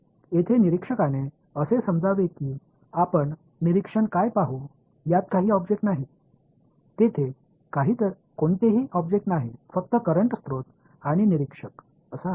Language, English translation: Marathi, The observer here’s supposing there was no object what would you observer see, there is no object only the current source and the observer